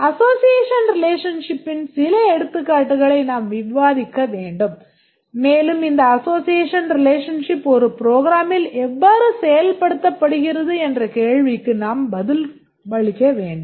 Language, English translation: Tamil, We need to discuss some examples of association relationship and also we need to answer this question that how are these implemented in a program